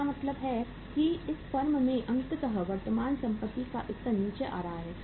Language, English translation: Hindi, It means finally in this firm also the level of current assets is coming down